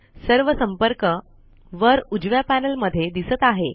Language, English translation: Marathi, All the contacts are now visible in the top right panel